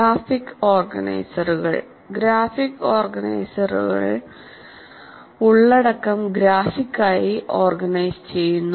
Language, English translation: Malayalam, Graphic organizers merely organize the content graphically